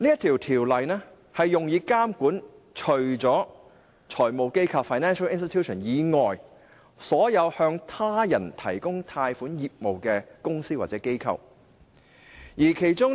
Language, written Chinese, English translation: Cantonese, 《條例》用以監管財務機構以外，所有經營向他人提供貸款的業務的公司或機構。, The purpose of the Ordinance is to supervise all companies or institutions other than financial institutions that carry on a business of provision of loans